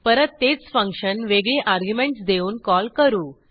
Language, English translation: Marathi, In a similar manner, I will call the same function with a different set of arguments